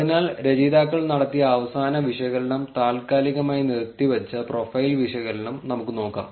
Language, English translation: Malayalam, So, now, let us look at the last analysis that the authors did was suspended profile analysis